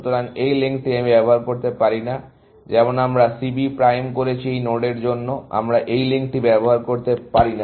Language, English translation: Bengali, So, this link, I cannot use, just as we did first C B prime, for this nod also, we cannot use this link